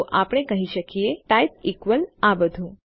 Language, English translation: Gujarati, So we can say type equals all of this